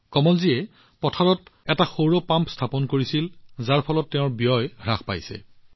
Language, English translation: Assamese, Kamal ji installed a solar pump in the field, due to which his expenses have come down